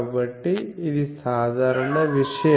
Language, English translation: Telugu, So, this is a general thing